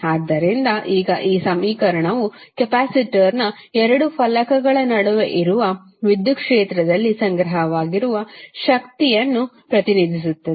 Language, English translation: Kannada, So, now this equation represents energy stored in the electric field that exists between the 2 plates of the capacitor